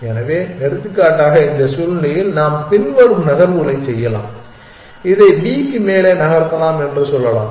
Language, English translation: Tamil, So, for example, in this situation we can do the following moves we can say move this to top of b